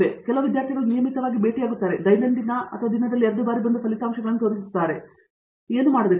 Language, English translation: Kannada, So, some student will regularly meet, everyday or twice in a day and come and show the results, what to do